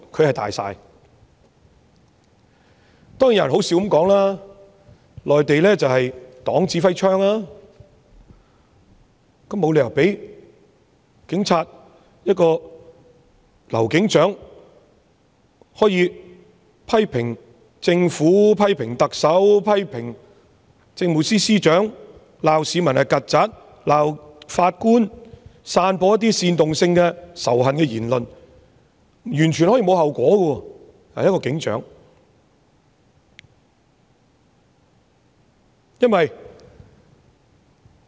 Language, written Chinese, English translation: Cantonese, 有人說笑地表示內地是黨指揮槍，但也沒理由讓警隊中一名劉姓警長可以肆意批評政府、批評特首、批評政務司司長，罵市民是"曱甴"、罵法官和散播一些煽動性仇恨言論而完全沒有後果。, Some people said jokingly that in the Mainland it is the Communist Party of China CPC commanding the gun . But it is still unreasonable that a sergeant surnamed LAU in the Police Force can scathingly criticize the Government the Chief Executive and the Chief Secretary for Administration while chiding members of the public as cockroaches scolding the judges and disseminating hate speech without having to bear any consequences at all